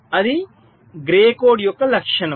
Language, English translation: Telugu, this is the advantage of grey code